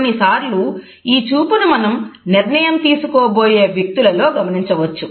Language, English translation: Telugu, Often you would come across this type of a gaze in those people who are about to take a decision